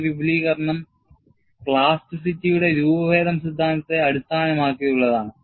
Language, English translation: Malayalam, And this extension, is based on the deformation theory of plasticity